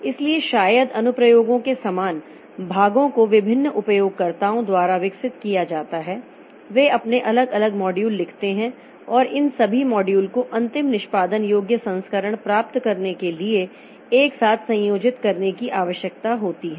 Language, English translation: Hindi, So, maybe the same part of the, say the parts of applications are developed by different users that they write their different modules and all these modules need to be combined together to get the final executable version